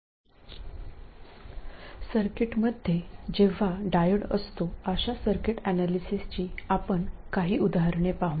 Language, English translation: Marathi, Now, I will look at a couple of examples of circuit analysis when the circuit has diodes